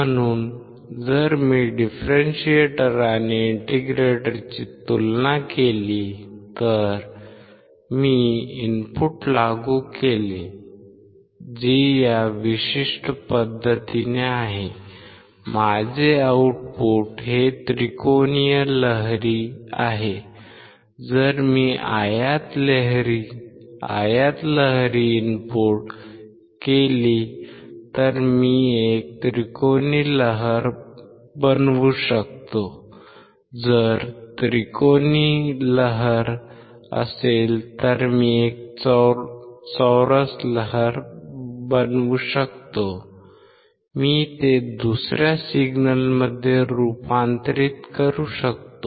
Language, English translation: Marathi, So, if I compare the differentiator and integrator, If I apply input, which is in this particular fashion my output is this which is a triangular wave I can make a triangular wave, if I input is rectangular wave I can make a triangle a square wave I can change it to the other signal